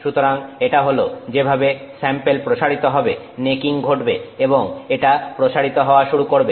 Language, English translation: Bengali, So, this is how the sample expands, necking happens and it starts expanding